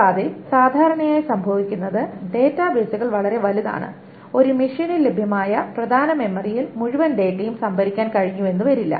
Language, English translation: Malayalam, And what generally happens is that databases are quite large and the main memory that is available in a machine may or may not be able to store the entire data